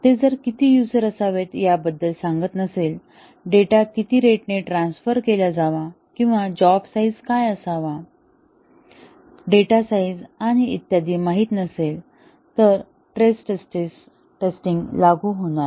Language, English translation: Marathi, If it does not tell about how many users, it should support, what is the rate at which the data should be transferred, what should be the job size, data size and so on, then stress testing would not be applicable